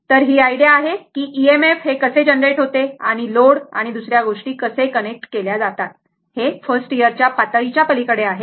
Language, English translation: Marathi, So, this is an idea to give you how EMF is generated and how the your load and other thing is connected that is beyond the scope at the first year level